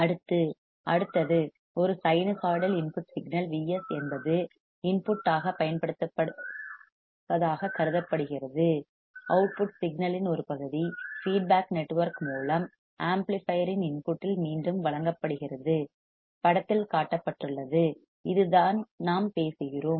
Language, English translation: Tamil, Next, next is assumed that a sinusoidal input signal V s is applied to the input at since amplifier is non inverting the output signal is in phase with input a part of output signal is fed back into the input of the amplifier through the feedback network shown in figure this is exactly what we are talking about